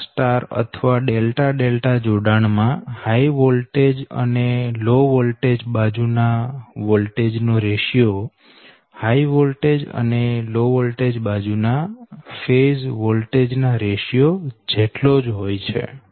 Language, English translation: Gujarati, so in star star or delta delta connection, the ratio of the voltage on high voltage and low voltage side at the same as the ratio of the phase voltage on the high voltage and low voltage side